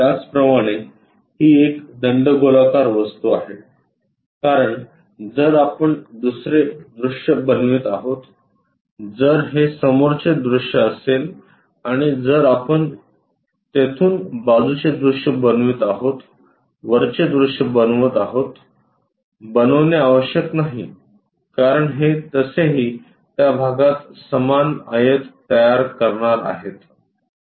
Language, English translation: Marathi, Similarly because it is a cylindrical object, the other view if we are making if this one is the front view and from there if we are making side view, making top view, not necessary because that is anyway going to create same rectangle within that portion